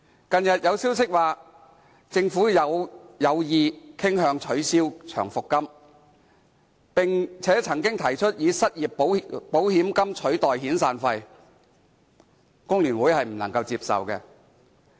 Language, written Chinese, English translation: Cantonese, 近日有消息指，政府傾向取消長期服務金，並曾經提出以失業保險金取代遣散費，工聯會認為不能接受。, It has been reported recently that the Government is inclined to abolish long service payments and replace severance payments with unemployment insurance fund . The Hong Kong Federation of Trade Unions considers this unacceptable